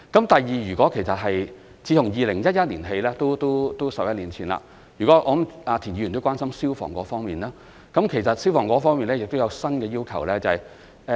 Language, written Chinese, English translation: Cantonese, 第二，自從2011年起，即是11年前——我相信田議員也關心消防方面的問題——其實我們在消防方面亦有新要求。, Second since 2011 that is 11 years ago―I believe Mr TIEN is also concerned about issues relating to fire safety―we have actually set down new fire safety requirements